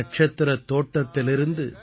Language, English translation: Tamil, From the garden of the stars,